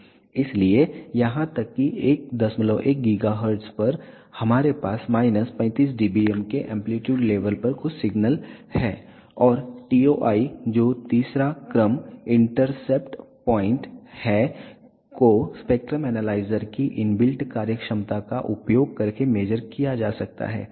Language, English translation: Hindi, 1 gigahertz we do have some signal at an amplitude level of minus 35 dBm and the TOI which is third order intercept point can be measured by using inbuilt functionality of the spectrum analyzer